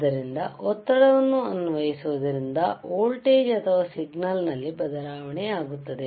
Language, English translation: Kannada, So, applying pressure will change will cause a change in the change in the voltage or change in the signal ok